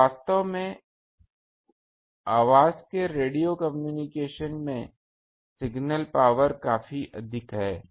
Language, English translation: Hindi, And in actually in radio communication of voice this signal power is quite higher